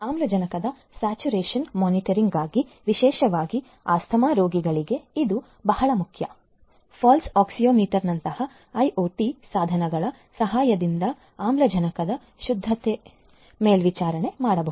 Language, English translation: Kannada, For oxygen saturation monitoring, particularly for asthma patients this is very important, oxygen saturation can be monitored with the help of IoT devices such as Pulse Oxiometry